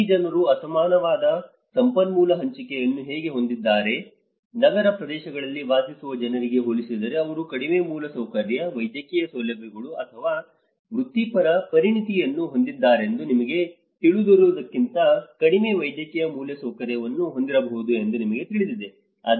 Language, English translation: Kannada, How these people have an unequal resource allocation, you know they might be having a less medical infrastructure compared to you know they have a less infrastructure, medical facilities or the professional expertise compared to the people who are living in urban areas